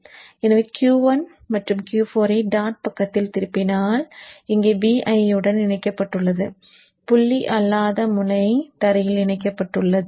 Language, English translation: Tamil, So when Q1 and Q4 are turned on, dot side is connected to VIN here the non dot end is connected to gram